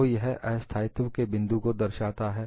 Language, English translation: Hindi, So, this indicates the point of instability